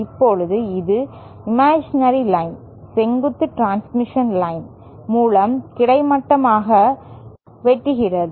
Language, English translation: Tamil, Now this is the imaginary line which is cutting through the vertical transmission lines horizontally